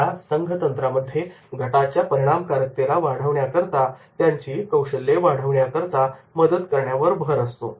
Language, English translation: Marathi, Group techniques focus on helping teams increase their skills for effective teamwork